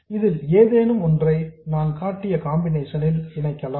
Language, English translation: Tamil, Neither of this can be connected in the configuration that I have shown